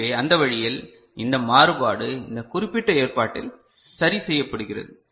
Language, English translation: Tamil, So that way, this variation part is taken care of in some sense in this particular arrangement right